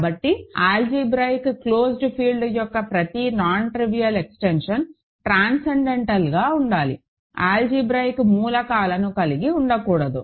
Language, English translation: Telugu, So, every non trivial extension of an algebraically closed field has to be transcendental, we cannot contain any algebraic elements